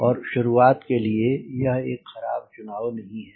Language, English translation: Hindi, that's not a bad choice to start with